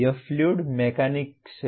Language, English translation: Hindi, This is fluid mechanics